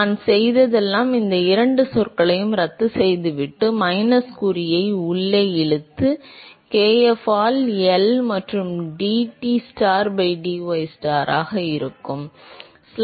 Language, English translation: Tamil, All I have done is, I have just cancelled out these two terms and pull the minus sign inside and so there will be kf by L into dTstar by dystar